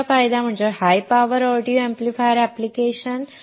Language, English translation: Marathi, Second advantage is high power audio amplifier application